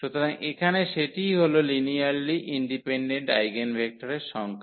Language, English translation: Bengali, So, here that is the number of linearly independent eigen vectors